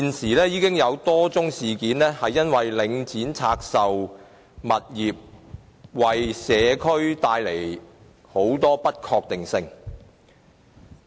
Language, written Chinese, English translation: Cantonese, 現時已有多宗事件顯示，領展拆售物業已為社區帶來很多不確定性。, At present as shown by a number of incidents the divestment of properties by Link REIT has brought considerable uncertainty to the community